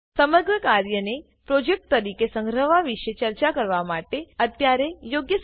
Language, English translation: Gujarati, Now is a good time to talk about saving the entire work as a project